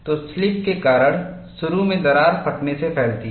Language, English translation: Hindi, So, because of slipping, initially the crack extends by theory